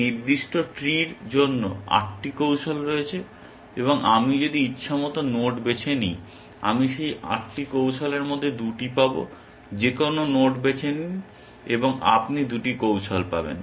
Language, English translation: Bengali, For this particular tree, there are 8 strategies and if I choose any arbitrary node, I will get 2 of those 8 strategies, choose any node and you will get 2 strategies